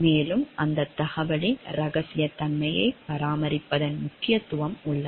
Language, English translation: Tamil, And there lies the importance of the maintaining this confidentiality of information